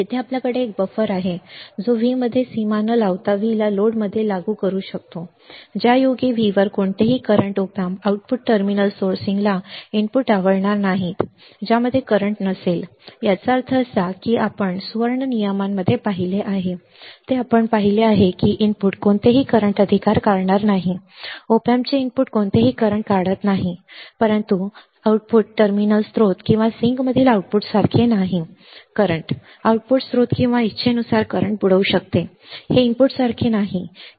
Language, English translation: Marathi, So, here we have is a buffer can apply V into the load without bordering V in with how with any current right op amp output terminal sourcing at V will not like inputs at which will have no current; that means, that what we have seen in the golden rules what we have seen is that the input will draw no current right the input of the op amp draws no current, but the output is not like this output in output terminal source and sinks current at will output can source or sink current at will right, it is not like input that it will not draw current, all right